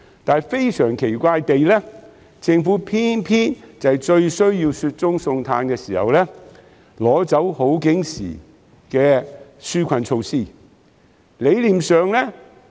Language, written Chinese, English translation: Cantonese, 但是，非常奇怪，政府偏偏在最需要雪中送炭時，取消了好景時的紓困措施。, However very strangely the Government has abolished the relief measures that it had introduced in good times when it is time to lend a helping hand to people in need